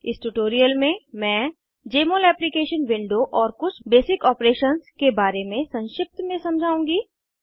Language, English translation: Hindi, In this tutorial, I will briefly explain about: Jmol Application window and some basic operations